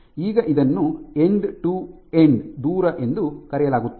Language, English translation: Kannada, So, this is called the end to end distance